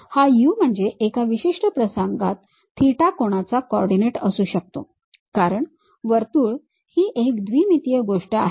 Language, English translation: Marathi, This u can be theta angular coordinate in one particular instance case and because it is a circle 2 dimensional thing